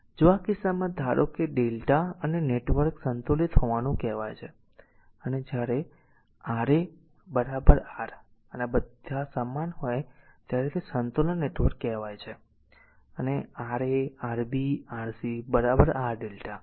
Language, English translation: Gujarati, And if in this case if a suppose delta and star networks are said to be balanced and when R 1 R 2 is equal to R 3 is equal to R star, and when all are equal it is said is a balance network right and Ra, Rb, Rc is equal to R delta right